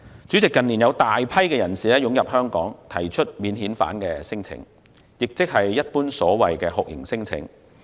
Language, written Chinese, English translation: Cantonese, 主席，近年有大量人士湧入香港並提出免遣返聲請，即所謂酷刑聲請。, President in recent years there has been an influx of a large number of people into Hong Kong and they have lodged torture claims or non - refoulement claims